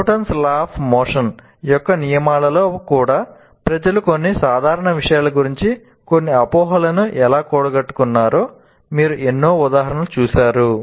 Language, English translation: Telugu, You must have seen any number of examples of things like with regard to even Newton's loss of motion, how people have accumulated some misconceptions about even some simple things